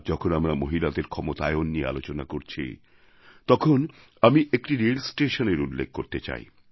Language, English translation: Bengali, Today, as we speak of women empowerment, I would like to refer to a railway station